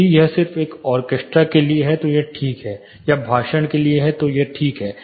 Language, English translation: Hindi, If it is just meant for say an orchestra it is fine or speech it is fine